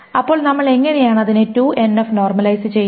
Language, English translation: Malayalam, So how do we 2NF normalize it